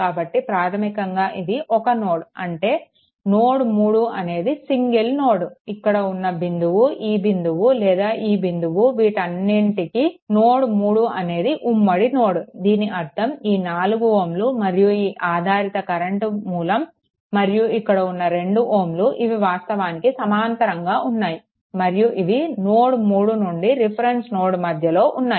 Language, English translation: Telugu, So, basically these are at this is a single node that is node 3 right either this point either this point or this point or this point this is node 3 because it is a common thing; that means, this 4 ohm then this dependent ah what you call that current source and this is 2 ohm all are in actually connected parallel and right they are connected to node 3 to the reference point right